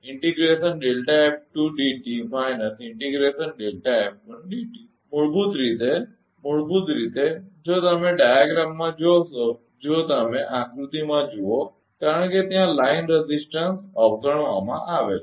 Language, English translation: Gujarati, Basically, basically if you look in the diagram if you look into the diagram because line resistance is neglected there is